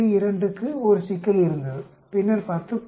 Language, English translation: Tamil, 2 had a problem then we expect 10